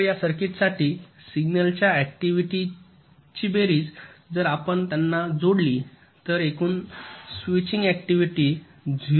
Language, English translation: Marathi, so for this circuit, the sum of the signal activities, if you just just add them up, so total switching activity will be point zero six, seven, nine